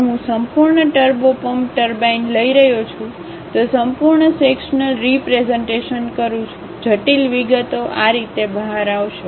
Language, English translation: Gujarati, If I am taking that entire turbo pump turbine, taking a full sectional representation; the complicated details will come out in this way